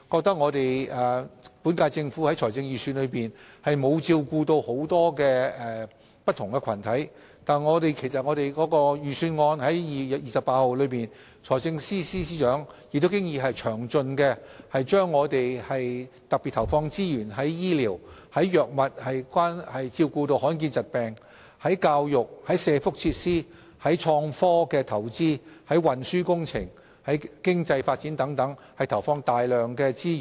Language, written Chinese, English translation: Cantonese, 他們認為本屆政府在財政預算案中沒有照顧不同群體的意見，但其實在2月28日發表的財政預算案中，財政司司長已詳盡闡述政府會特別在醫療、治療罕見疾病的藥物、教育、社福設施、創科投資、運輸工程、經濟發展等方面投放大量資源。, In fact however in the Budget released on 28 February the Financial Secretary already explained in detail that the Government would commit considerable resources in the areas of health care orphan drugs for treating rare diseases education social welfare facilities innovation and technology investments transport projects economic development and so on